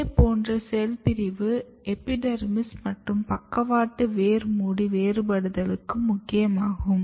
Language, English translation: Tamil, Similarly, similar kind of cell division is also very important in differentiation of epidermis and lateral root cap